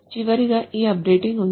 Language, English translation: Telugu, Finally, there is this updating